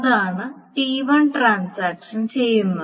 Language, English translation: Malayalam, That means this is what transaction T1 is doing